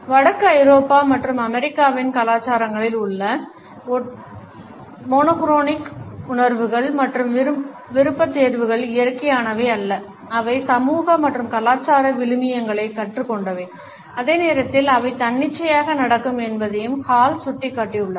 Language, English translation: Tamil, Hall has also pointed out that the monochronic perceptions and preferences in the cultures of Northern Europe and the USA are not natural they are learnt social and cultural values and at the same time they happen to be arbitrary